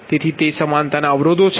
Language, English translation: Gujarati, so it is the equality constraints